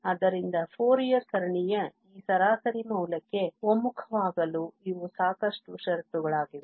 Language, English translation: Kannada, So, these were the sufficient conditions for the convergence of the Fourier series to this average value